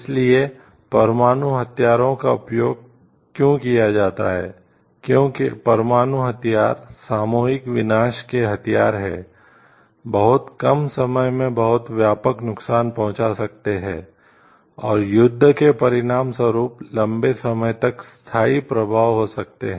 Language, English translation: Hindi, So, nuclear weapon why it is used, as nuclear weapons is a weapons of mass destruction can cause much extensive damage in a very short period of time, and could have a long lasting effect as a warfare result